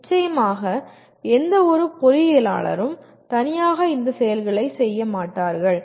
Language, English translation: Tamil, Of course, any single engineer will not be doing all these activity